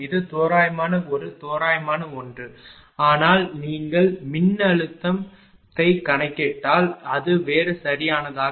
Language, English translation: Tamil, That is approximate one approximate one right so, but if you calculate voltage it will be different right